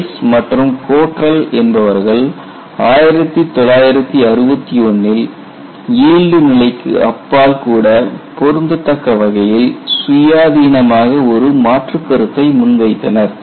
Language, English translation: Tamil, Wells and Cottrell independently in 1961 advanced an alternative concept in the hope that it would apply even beyond general yielding condition